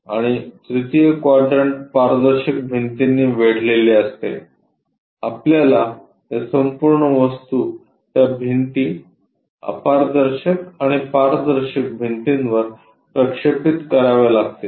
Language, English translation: Marathi, And the 3rd quadrant bounded by transparent walls, we have to project these entire object onto those walls, opaque and transparent walls